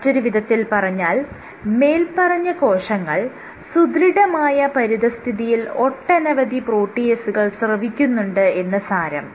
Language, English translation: Malayalam, In other words these cells secrete more amount of proteases on a stiffer environment